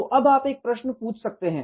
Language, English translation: Hindi, So, now you can ask a question